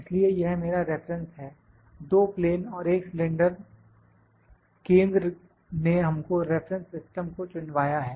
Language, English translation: Hindi, So, this is my reference, the two planes and one cylinder centre has made us to select the reference system